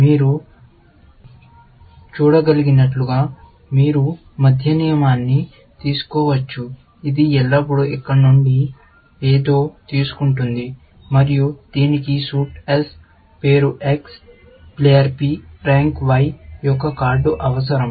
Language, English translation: Telugu, You can take the middle rule, as you can see, it always takes something from here, and it needs a card of suit S name X player P rank Y